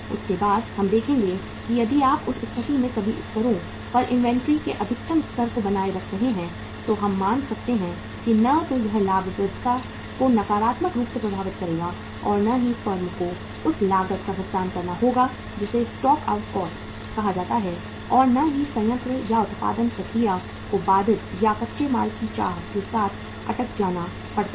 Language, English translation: Hindi, After that we will see that if you are keeping the optimum level of inventory at all the 3 levels in that case we can assume neither it will impact the profitability negatively nor the firm has to pay the cost which are called as the stock out cost and nor the plant or the production process has to be say interrupted or get stuck with for the want of raw material